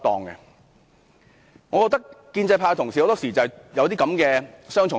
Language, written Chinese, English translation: Cantonese, 我覺得建制派同事很多時抱持這種雙重標準。, I find that the pro - establishment Members often hold double standards